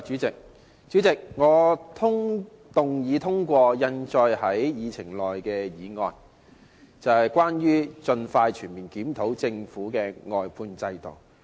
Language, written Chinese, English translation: Cantonese, 主席，我動議通過印載於議程內的議案，即有關"盡快全面檢討政府的服務外判制度"的議案。, President I move that the motion as printed on the Agenda that is the motion on Expeditiously conducting a comprehensive review of the Governments service outsourcing system be passed